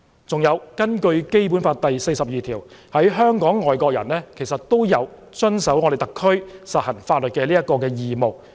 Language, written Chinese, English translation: Cantonese, 再者，根據《基本法》第四十二條，在香港的外籍人士有遵守特區實行的法律的義務。, In addition pursuant to Article 42 of the Basic Law expatriates in Hong Kong shall have the obligation to abide by the laws in force in SAR